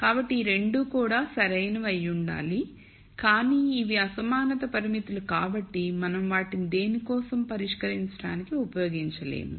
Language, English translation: Telugu, So, these 2 also have to be valid, but because these are inequality constraints we cannot actually use them to solve for anything